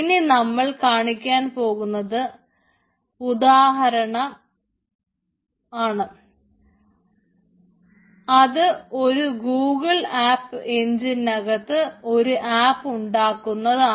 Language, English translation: Malayalam, so the next example, ah, what we will be showing is building app within that google app engine